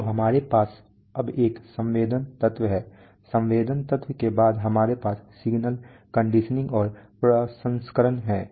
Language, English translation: Hindi, So we have a sensing element now after the sensing element we have signal conditioning and processing